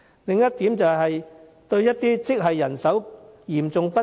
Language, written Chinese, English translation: Cantonese, 另一點是，有些職系人手嚴重不足。, The second point is that certain grades are faced with an acute manpower shortage